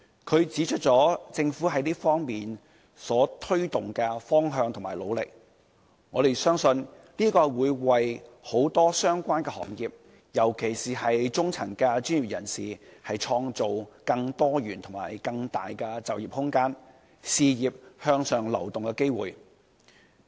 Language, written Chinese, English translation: Cantonese, 他指出了政府在這方面推動的方向和努力，我們相信這會為很多相關行業和中層專業人士，創造更多元發展和更大就業空間、更多事業向上流動的機會。, He pointed out the direction as promoted by the Government and the efforts that we made . I believe that this is going to create for the industries concerned and for the middle level professionals more room for diversified development and for employment as well as more chances for upward career mobility